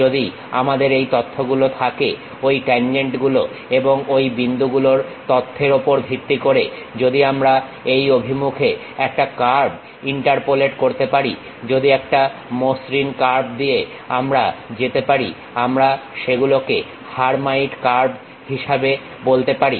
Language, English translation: Bengali, If we have this information, a curve in the direction if we can interpolate based on those tangent information's and point information, a smooth curve if we are passing through that we call that as Hermite curves